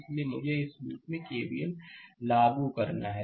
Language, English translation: Hindi, So, I have to apply your K V L in this loop